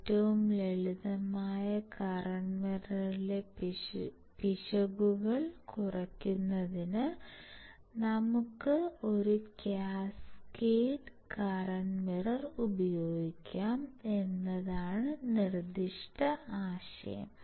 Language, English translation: Malayalam, The errors in the simplest current mirror circuits can be reduced by using, cascaded current mirrors